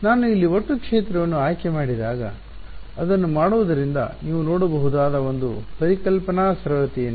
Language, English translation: Kannada, What is the when I choose to total field over here what is the sort of one conceptual simplicity you can see of doing that